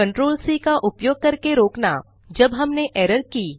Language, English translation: Hindi, To Interrupt using ctrl c when we make an error